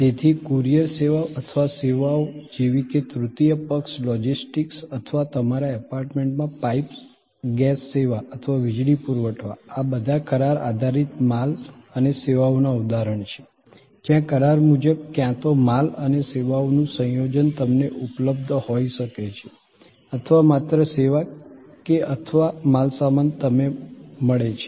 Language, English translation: Gujarati, So, courier services or services like third party logistics or piped gas service to your apartment and electricity supply, all these are example of contractual goods and services, where contractually either a combination of goods and services may be available to you or it can be just service or it can be just goods and this is one block